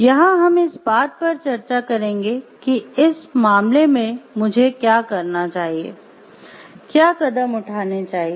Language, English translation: Hindi, We will discuss over here what are the steps required what should I do in this case